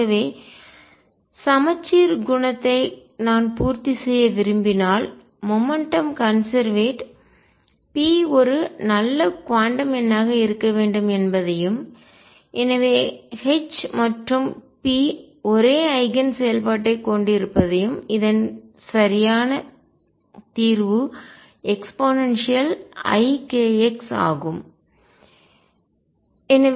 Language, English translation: Tamil, So, if I want to satisfy the symmetry property that the momentum is conserved that p be a good quantum number and therefore, H and p have the same Eigen function the correct solution to pick is e raise to i k x